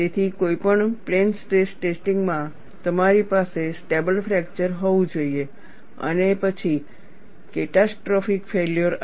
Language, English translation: Gujarati, So, in any plane stress testing, you should have a stable fracture followed by catastrophic failure